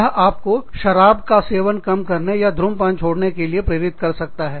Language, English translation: Hindi, They could even motivate you, to decrease your alcohol intake, or motivate you, to stop smoking